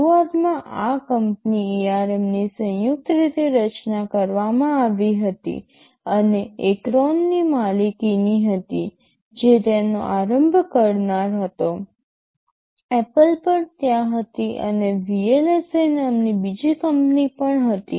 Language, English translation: Gujarati, IAnd initially this company ARM was jointly formed and owned by this accountAcorn which was the initiator, Apple was also there and there was another company called VLSI